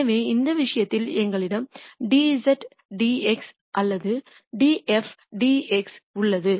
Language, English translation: Tamil, So, in this case we have dz dx or df dx